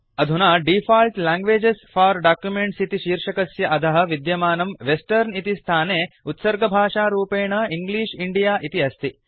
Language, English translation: Sanskrit, Now under the heading Default languages for documents, the default language set in the Western field is English India